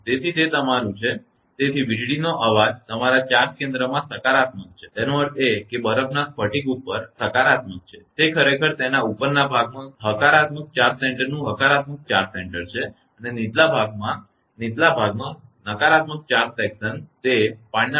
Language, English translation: Gujarati, So, that is your therefore, a thundercloud has a positive your charge center; that means, it positive over the ice crystal it is actually positive charge center right a positive charge center in its upper section and a negative charge section in the lower section lower section is the that water droplet us right